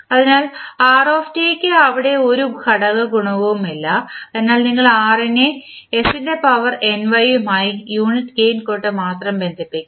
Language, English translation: Malayalam, So, rt does not have any component coefficient there so you will connect r with s to the power ny with only unit gain